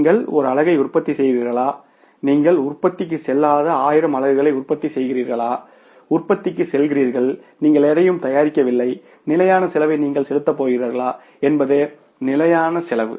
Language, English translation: Tamil, Whether you manufacture one unit, you manufacture 1,000 units, you don't go for the production, you go for the production, you don't manufacture anything, you are going to pay the fixed cost